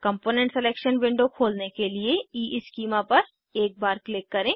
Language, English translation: Hindi, Click once on the EESchema to open the component selection window